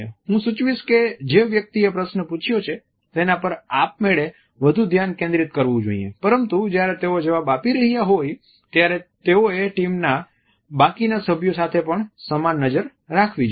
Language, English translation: Gujarati, I would suggest that one should focus automatically more on the person who has asked the question, but while they are answering they should also maintain an equal eye contact with the rest of the team members also